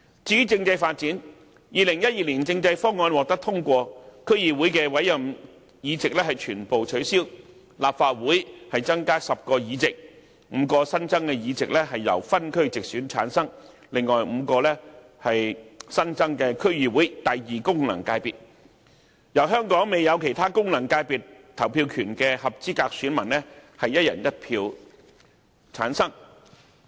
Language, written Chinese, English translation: Cantonese, 至於政制發展 ，2012 年政改方案獲得通過，區議會的委任議席全部取消，立法會增加10個議席 ，5 個新增議席由分區直選產生，另外5個為新增的區議會功能界別，由全港未有其他功能界別投票權的合資格選民以"一人一票"產生。, As regards the constitutional development with the passage of the 2012 constitutional reform package all appointed seats of District Councils were abolished and 10 seats were added to the Legislative Council with five returned by geographical constituencies through direct elections and the other five returned from the new District Council Second Functional Constituencies to be voted by all eligible voters who did not have the right to vote in other functional constituencies